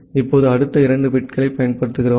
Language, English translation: Tamil, Now, we use the next two bits